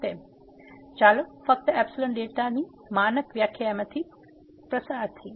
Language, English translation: Gujarati, So, let us just go through the standard definition of epsilon delta